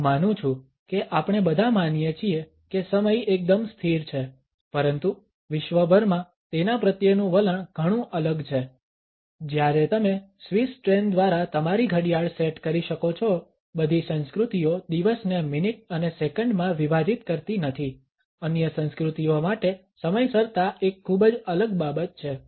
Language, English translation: Gujarati, I guess we all believe that time is pretty constant, but around the world attitudes to it differ greatly, while you can set your watch by Swiss trains not all cultures break the day down into minutes and seconds for other cultures punctuality is a very different matter